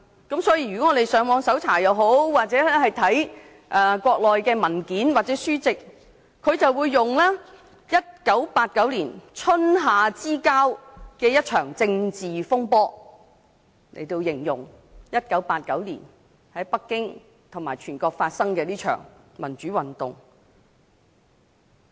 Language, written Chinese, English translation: Cantonese, 如果我們上網搜查或閱讀國內的文件或書籍，會得知當局以 "1989 年春夏之交的一場政治風波"來形容1989年在北京及全國發生的一場民主運動。, If we search on the Internet or read documents or books produced on the Mainland we would notice that the Chinese authorities have described the democratic movement which happened in Beijing and across the country in 1989 as a political turmoil between spring and summer of 1989